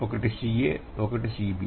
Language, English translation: Telugu, The other one is C